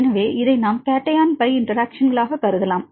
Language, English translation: Tamil, Are they forming the cation pi interactions